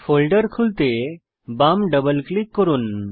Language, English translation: Bengali, Left double click to open the folder